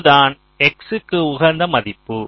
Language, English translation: Tamil, this is the optimum value of x